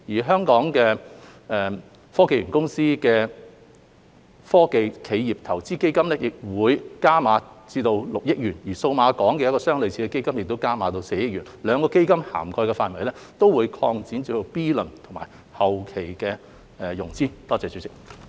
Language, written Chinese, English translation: Cantonese, 香港科技園公司的"科技企業投資基金"亦會加碼至6億元，而數碼港的一個類似基金則加碼至4億元，兩個基金的涵蓋範圍將擴大至 B 輪及後期的融資。, HKSTPC will also pump up its Corporate Venture Fund to 600 million and Cyberport will pump up a similar fund to 400 million . The scopes of the two funds will be expanded to cover Series B and later stage investments